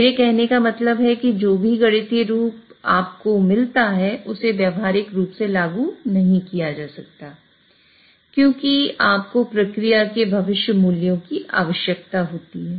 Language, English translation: Hindi, What I mean to say is whatever mathematical form you get it cannot be practically implemented because you require future values of the process